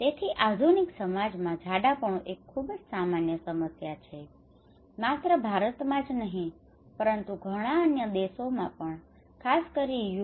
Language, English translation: Gujarati, So obesity is a very common problem in modern society, okay not only in India but in many other countries especially in US